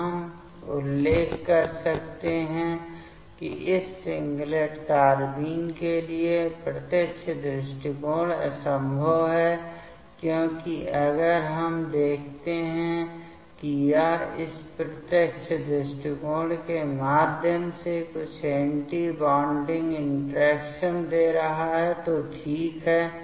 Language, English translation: Hindi, So, here we can mention that direct approach for this singlet carbene is impossible, because if we see that this is giving some anti bonding interaction through this direct approach ok